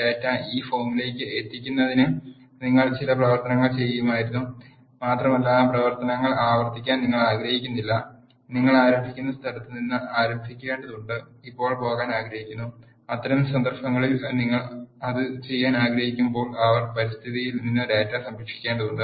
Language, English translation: Malayalam, The reason being you would have done certain operations to get the data to this form and you do not want to repeat those actions and you need to start from the point where you want to leave now, in that cases you need to save the data from the R environment when you want to do that